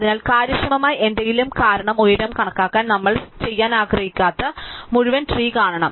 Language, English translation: Malayalam, So, this will be killing all our attempts to do something efficiently, because in order to compute the height we actually have to see the entire tree which is not we want to do